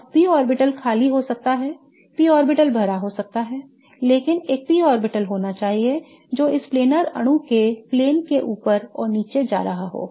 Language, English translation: Hindi, Now, it so turns out that the p orbital can be empty, the p orbital can be filled but there should be one p orbital that is going above and below the plane of this planer molecule